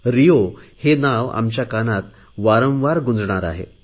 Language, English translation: Marathi, RIO is going to resound in our ears time and again